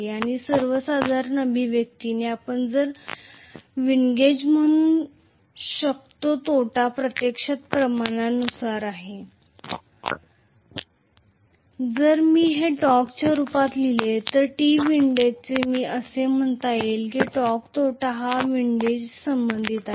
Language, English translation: Marathi, And in general empirically the expression we can say the windage loss is actually proportional to, if I write it in the form of torque, so T windage I am saying, the loss torque associated with windage